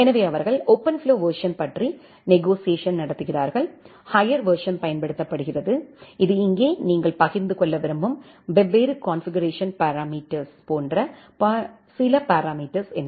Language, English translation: Tamil, So, they negotiate the OpenFlow version, the higher version is used and this here, certain parameters like what are the different configuration parameters you want to share